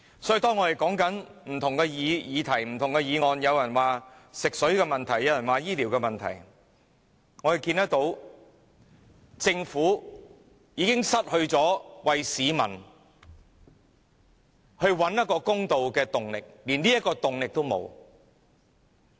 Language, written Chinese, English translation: Cantonese, 所以，當我們談到不同議題時，有議員會說食水、醫療問題，但政府已失去為市民找回公道的動力，連這樣的動力也沒有。, When we discuss the amendments Members will draw in various issues like water supplies health care and so on . The main point here is that the Government has long lost the impetus for righting the wrong for the people